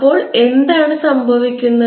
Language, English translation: Malayalam, what happens then